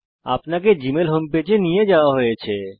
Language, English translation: Bengali, You are directed to the gmail home page